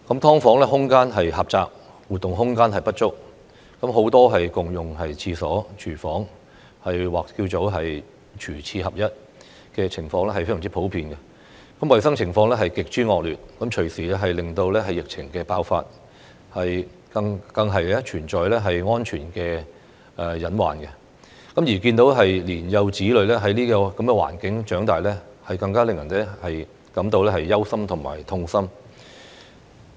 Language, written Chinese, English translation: Cantonese, "劏房"空間狹窄，活動空間不足，很多也要共用廁所、廚房，"廚廁合一"的情況非常普遍，衞生情況極之惡劣，隨時令疫症爆發，更存在安全隱患；而看到年幼子女在這種環境下長大，更令人感到憂心和痛心。, The space in SDUs is cramped and the activity space there is inadequate; many tenants have to share toilets and kitchens and the kitchen - cum - toilet situation is very common . The hygiene situation is extremely poor with epidemic outbreaks and safety hazards on the horizon . It is sad and heart - breaking to see young children growing up in such an environment